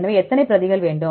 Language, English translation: Tamil, So, how many replicates do you want